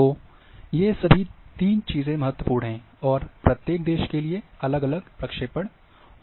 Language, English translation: Hindi, So, all these three things are important, and for each country there are different projection are available